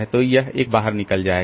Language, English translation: Hindi, So, this 2 goes out